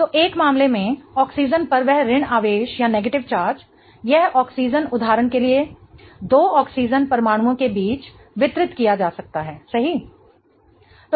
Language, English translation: Hindi, So, in one case that negative charge on the oxygen, this oxygen for example can be distributed between two oxygen atoms, right